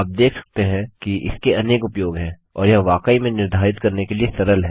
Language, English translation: Hindi, So you can see that this has lots if uses and its really easy to declare